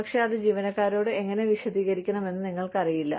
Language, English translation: Malayalam, But, you do not know, how to explain it, to employees